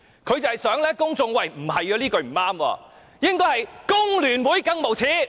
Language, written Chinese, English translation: Cantonese, 他想公眾覺得這句話並不對，應該是"工聯會更無耻"。, He wants the public to think that this phrase is not right but should be The more shameless FTU